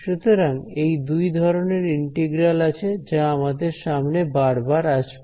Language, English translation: Bengali, So, these are the integrals that we will come across